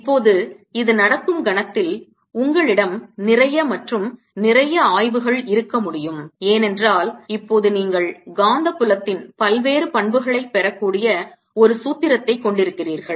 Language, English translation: Tamil, now you can have in lot and lot of more studies because now you have a formula from which you can derive various properties of magnetic field